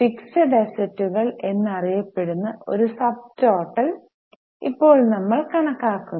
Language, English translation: Malayalam, Now here we calculate a subtotal known as fixed assets